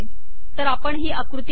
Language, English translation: Marathi, So lets go to this figure